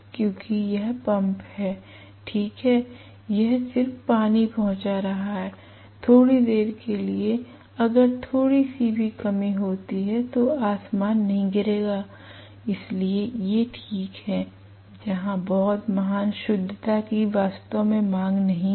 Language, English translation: Hindi, Because it is pump it is alright, it is just delivering water, for a short while if little bit of reduction happens heavens will not fall, so these are okay where very great accuracy is not really demanded right